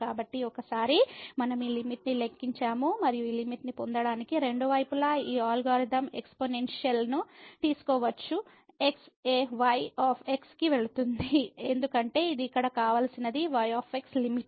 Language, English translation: Telugu, So, once we compute this limit and we can take this algorithm exponential both the sides to get this limit goes to a because this was the desired limit here this was the